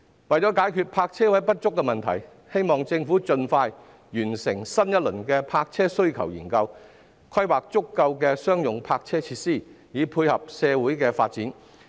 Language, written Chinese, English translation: Cantonese, 為了解決泊車位不足的問題，希望政府能盡快完成新一輪的泊車需求研究，規劃足夠的商用泊車設施，以配合社會發展。, To resolve the shortage of parking spaces I hope the Government will expeditiously complete the new round of the parking demand study and make planning for sufficient commercial parking facilities to cope with social development